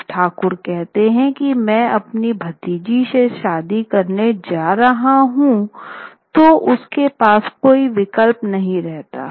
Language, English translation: Hindi, When the Thakur says I am going to marry my niece, there was no choice